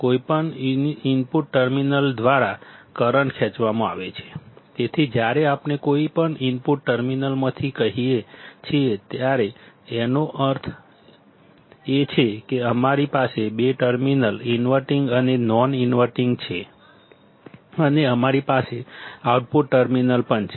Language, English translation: Gujarati, The current drawn by either of the input terminals, so when we say either of input terminals, means that, as we have two terminals, inverting terminal and non inverting terminal and we also have the output terminal